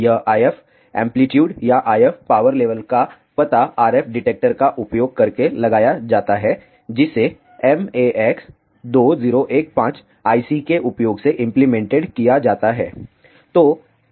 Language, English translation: Hindi, This IF amplitude or IF power level is detected using an RF detector, which is implemented using max 2 0 1 5 IC